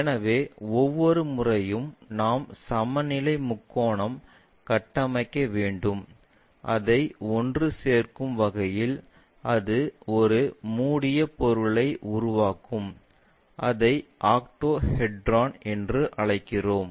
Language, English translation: Tamil, So, equilateral triangle every time we have to construct, assemble it in such a way that, it makes a closed object such kind of thing what we call as this octahedron